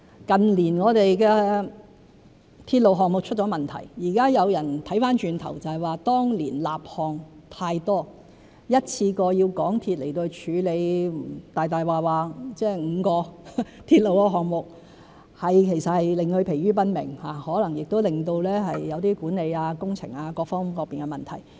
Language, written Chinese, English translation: Cantonese, 近年我們的鐵路項目出了問題，現在有人回頭看說是當年立項太多，一次過要香港鐵路有限公司處理5個鐵路項目，其實是令其疲於奔命，亦可能令到一些管理、工程各方面出現問題。, There have been problems with our railway projects in recent years and in retrospect some people said that too many projects were being rolled out for implementation back in those years . When the MTR Corporation Limited MTRCL has to handle five railway projects in one go actually this would overburden them and may give rise to problems in respect of say management or the engineering works